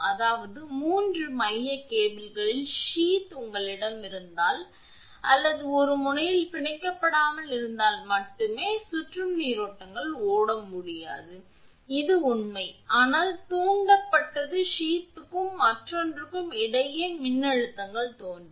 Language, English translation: Tamil, I mean when the sheath of the 3 single core cables if you have are not bonded or bonded at one end only then circulating currents cannot flow, this is true; but, induced voltages appear between the sheath and another